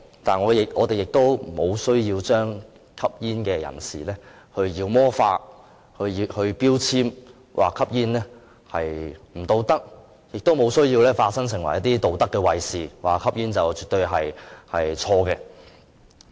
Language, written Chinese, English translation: Cantonese, 但是，我們不需要將吸煙人士妖魔化、標籤，說吸煙不道德，亦沒有需要化身成為道德衞士，說吸煙絕對不正確。, There is no need for us to demonize or label smokers describing smoking as an unethical act . Neither is there a need for us to become a moral guardian saying it is wrong to smoke